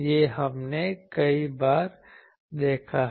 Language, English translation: Hindi, This we have seen many times